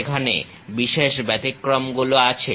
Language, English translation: Bengali, There are exceptional exceptions